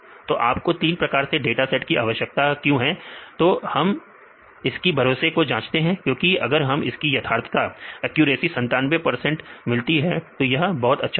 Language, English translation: Hindi, So, why do we need three different types of data sets we check the reliability because otherwise if we check with this data set you can get the accuracy of 97 percent for example, we would be very happy